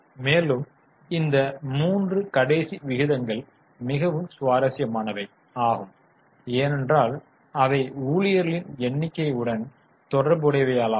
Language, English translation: Tamil, Now, there are three last ratios which are interesting because they are related to number of employees